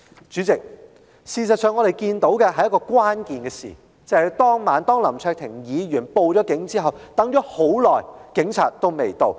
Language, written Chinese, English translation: Cantonese, 主席，我們看到的另一件關鍵事情，便是當晚在林卓廷議員報警後，警察良久亦未到場。, President another key episode as we have noticed is that after Mr LAM Cheuk - ting called the Police that night no police officer appeared at the scene despite a long wait